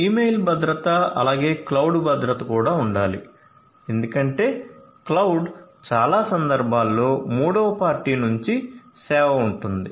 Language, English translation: Telugu, Email security also likewise and cloud security, because cloud is like a third party service in most of the cases